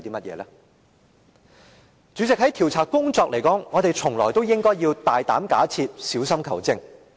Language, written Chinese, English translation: Cantonese, 代理主席，就調查工作來說，我們從來都應"大膽假設，小心求證"。, Deputy President in respect of the inquiry work we have always been bold in making hypothesis and cautious in providing proof